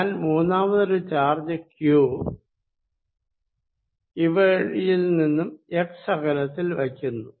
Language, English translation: Malayalam, And I put a third charge q at a distance x from them, this is q